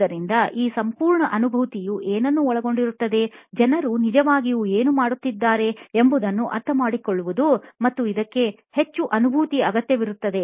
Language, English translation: Kannada, So, to start off with what is it this whole empathy involves is to really find out, understand what is it that people are really going through and this requires empathy